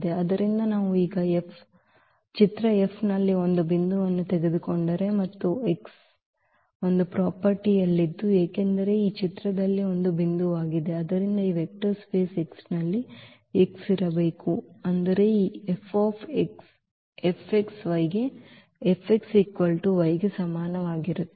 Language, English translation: Kannada, So, if we take a point in the image F now and there exists a X because this is a point in the image, so, there must exists a X in this vector space X such that this F x is equal to y